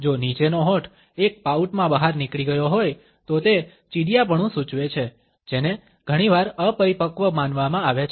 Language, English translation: Gujarati, If the bottom lip has jotting out in a pout it indicates a petulance which is often considered to be immature